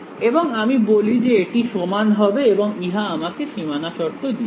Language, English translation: Bengali, And I say that it should be equal and that gave me this boundary condition